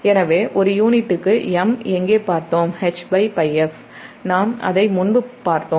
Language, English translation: Tamil, so where m per unit, we have seen h by pi f, we have seen it before